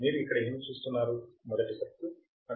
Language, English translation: Telugu, What do you see here is the first circuit